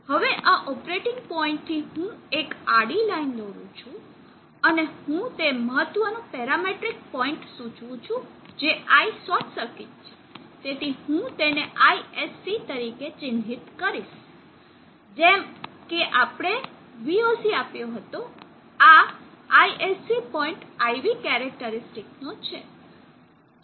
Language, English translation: Gujarati, Now from this operating point let me draw a horizontal line also, and let me indicate the important parametric point this is ISC, so I will mark it as ISC just like we had VOC here, this is an ISC point of IV characteristic